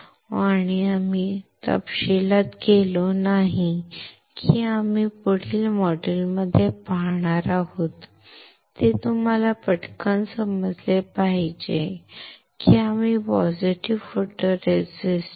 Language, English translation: Marathi, And we have not gone in detail that we will see in the next modules you have to just understand quickly that we have used positive photoresist